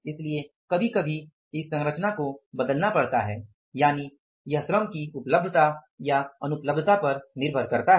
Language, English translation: Hindi, So, we have to change sometime this composition, depending upon the availability or the non availability of the labor